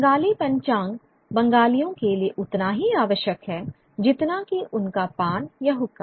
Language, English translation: Hindi, The Bengali almanac is as necessary for the Bengali as his pan or his hookah